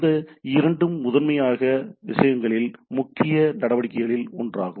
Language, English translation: Tamil, These two are the primarily one of the major activities of the things